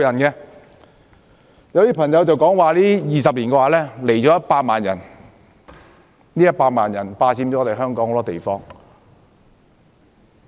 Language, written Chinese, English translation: Cantonese, 有些議員說 ，20 年來有100萬人來港，他們霸佔了香港很多地方。, Some Members say that there were 1 million immigrants to Hong Kong in the past 20 years . They occupy many spaces in Hong Kong